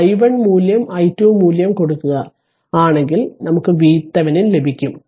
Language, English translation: Malayalam, So, put i 1 value i 2 value we will get V thevenin